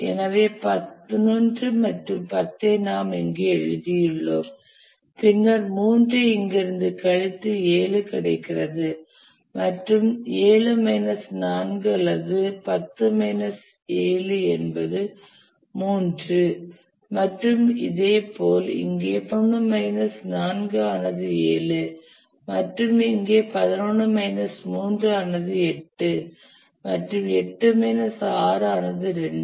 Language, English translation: Tamil, So 11 and 10 we have written here and then we subtracted 3 from here and got 7 and 7 minus 4 or 10 minus 7 is 3